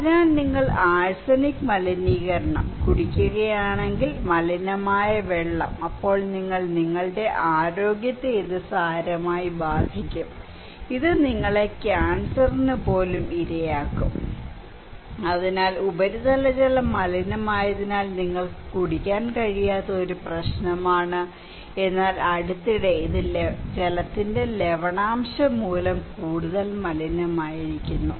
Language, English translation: Malayalam, So, if you are drinking arsenic contaminations; contaminated water, then you will be, your health will be severely affected leaving you, making you vulnerable for cancer even, so the one problem that you cannot drink surface water because it was contaminated already, but recently, it is more contaminated by water salinity, it could be sea level rise, climate change and also some kind of changes of you know, shrimp cultivations